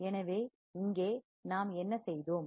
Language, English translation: Tamil, So, here what have we done